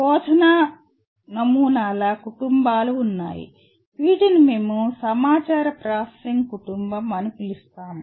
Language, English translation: Telugu, There are families of teaching models, what we call information processing family